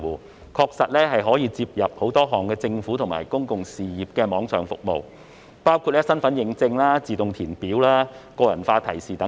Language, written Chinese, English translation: Cantonese, 這平台確實可以連接很多項政府及公用事業的網上服務，包括身份認證、自動填表、個人化提示等。, This platform can indeed connect to many online services of the Government and public utilities including identity authentication automatic form filling and personalized notification